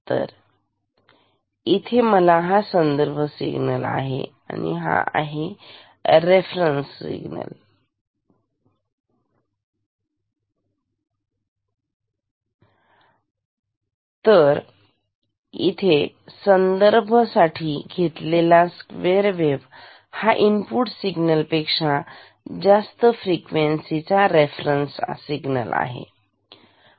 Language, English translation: Marathi, So, here; so I will have this reference signal this is the reference signal reference square wave of much higher frequency than the input signal which will come here